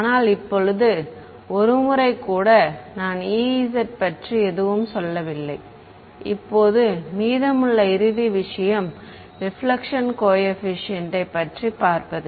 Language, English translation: Tamil, Now once, but I have not said anything about e z right now the final thing that is left is to look at the reflection coefficient